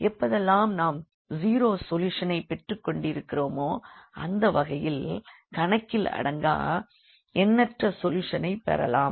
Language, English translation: Tamil, Whenever we are getting a nonzero solution and that will be the case of infinitely many solutions